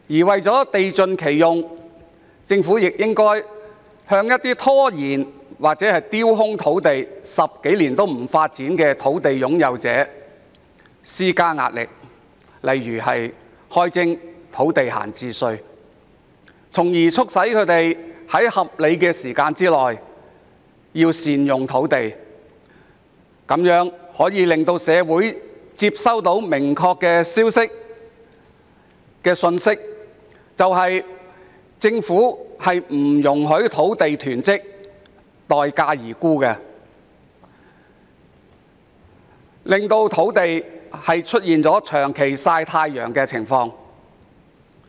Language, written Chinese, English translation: Cantonese, 為了地盡其用，政府亦應向有意拖延或丟空土地10多年不發展的土地擁有者施加壓力，例如開徵土地閒置稅，促使他們在合理時間內善用土地，藉此向社會傳遞明確信息，即政府不容許土地囤積、待價而沽，以防土地出現長期"曬太陽"的情況。, In order to make the best use of land the Government should also put pressure on landowners who deliberately delay the development or leave their land idle for more than 10 years by for example introducing an idle land tax to urge them to better utilize their land within a reasonable time thereby sending a clear message to the community that the Government does not allow land to be hoarded and sold at a premium so as to avoid prolonged idling of land